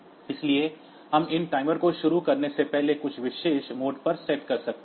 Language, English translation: Hindi, So, we can set these timers to some particular mode before starting it